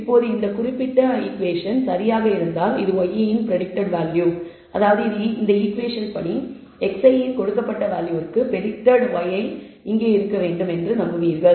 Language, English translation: Tamil, Now, the line if this particular equation is correct then this is the predicted value of y, which means for this given value of x i according to this equation you believe y predicted should be here